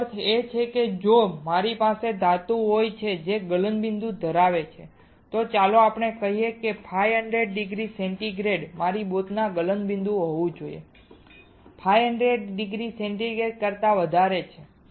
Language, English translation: Gujarati, That means if I have a metal which has a melting point of let us say 500 degree centigrade my boat should have a melting point which is very higher than 500 degree centigrade